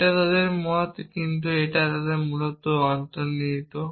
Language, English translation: Bengali, It is their like in that, but it is implicit essentially